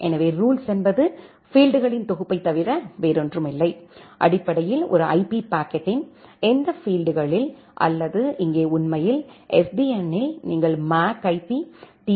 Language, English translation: Tamil, So, the rule is nothing but a set of fields and that field basically, says that in which particular field of an IP packet or here actually, in SDN you can look into MAC, IP, TCP, all the headers